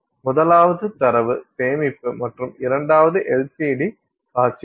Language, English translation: Tamil, The first is data storage and the second one is LCD displays